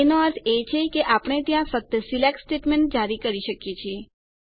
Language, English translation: Gujarati, Meaning, we can issue only SELECT statements there